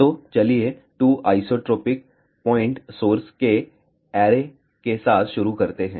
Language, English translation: Hindi, So, let us start with array of 2 isotropic point sources